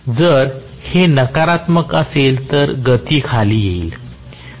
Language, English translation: Marathi, If this is negative speed will come down